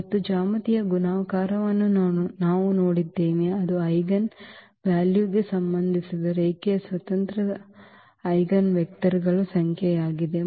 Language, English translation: Kannada, And we have also seen the geometric multiplicity that was the number of linearly independent eigenvectors associated with that eigenvalue